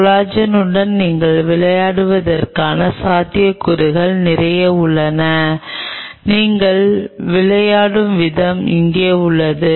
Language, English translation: Tamil, You have lot of possibilities what you can play around with collagen how you play with this the way you play is out here